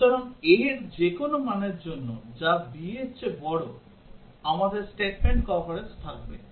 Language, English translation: Bengali, So for any value of a, which is greater than b, we will have statement coverage